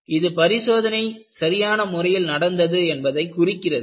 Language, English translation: Tamil, This is an indication of an experiment well performed